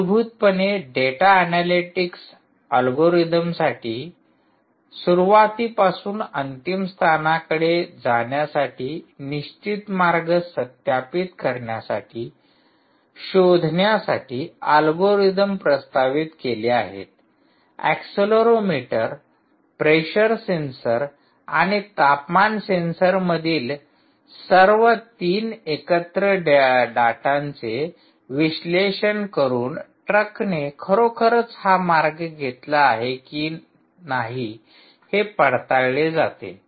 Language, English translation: Marathi, there propose ah algorithms for data analytics, algorithms, ah to to find out, to verify the fixed route from the source to the destination, whether the truck actually took that route, by just analyzing the data from the accelerometer, the pressure sensor and the temperature sensor, all the three put together, and they actually proposed ah a algorithm called d t w, its called dynamic time warping ah